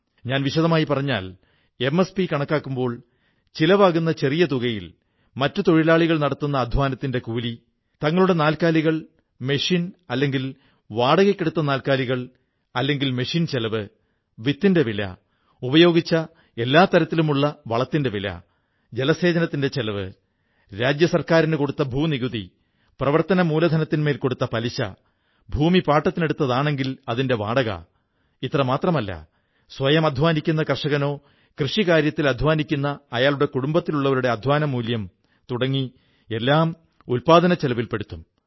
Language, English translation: Malayalam, If I may elaborate on this, MSP will include labour cost of other workers employed, expenses incurred on own animals and cost of animals and machinery taken on rent, cost of seeds, cost of each type of fertilizer used, irrigation cost, land revenue paid to the State Government, interest paid on working capital, ground rent in case of leased land and not only this but also the cost of labour of the farmer himself or any other person of his family who contributes his or her labour in agricultural work will also be added to the cost of production